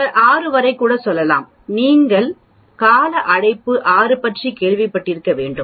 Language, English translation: Tamil, We can even go up to 6 sigma you must have heard about term call 6 sigma